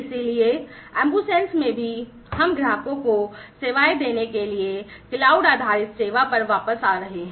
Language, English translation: Hindi, So, in the AmbuSens as well, we are falling back on the cloud based service for offering the services to the customers